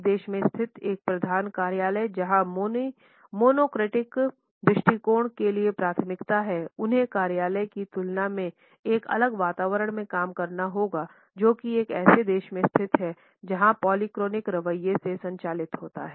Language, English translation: Hindi, A head office situated in a country where the preferences for monochronic attitudes would work in a different atmosphere in comparison to another office which is situated in a country which is governed by the polychronic attitude